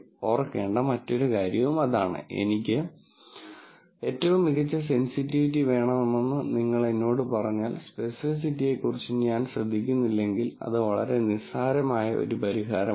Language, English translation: Malayalam, Another thing to remember is, if you told me that I want the best sensitivity, I do not care about specificity, then that is a very trivial solution